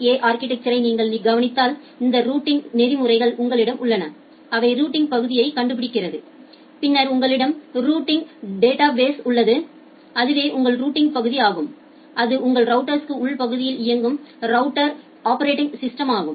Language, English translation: Tamil, So, if you look into this ISA architecture you have these routing protocols, which are finding out the routing parts and then you have the routing database and that is the routing part which is running inside your router operating system, and then you have this quality of service associated protocol